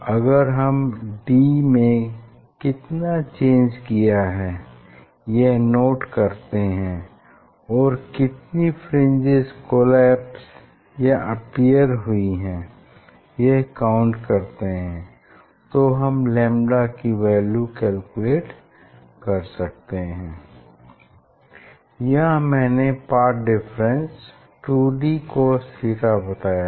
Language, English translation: Hindi, if you can note down that distance d and how many are appearing or collapsing if we can count then from there you can find out you can find out the lambda value, here I told that this path difference is equal to 2d cos theta